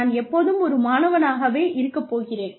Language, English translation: Tamil, I am always going to be a student